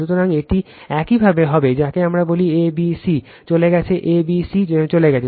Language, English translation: Bengali, So, it will be your, what we call that is a, b, c is gone right a, b, c is gone